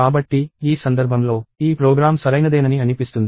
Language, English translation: Telugu, So, in which case, this program seems to be correct